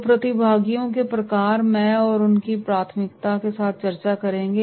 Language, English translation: Hindi, So types of participants I will discuss with you and their priority